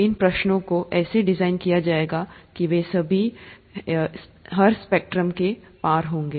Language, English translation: Hindi, These, questions would be designed such that they are all across the spectrum